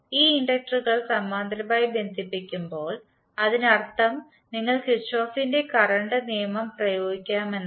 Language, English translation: Malayalam, So when these inductors are connected in parallel means you can apply Kirchhoff’s current law